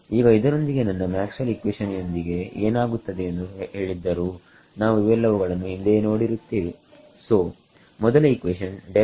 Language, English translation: Kannada, Now with this having been said what happens to our Maxwell’s equations in we have seen all of this before right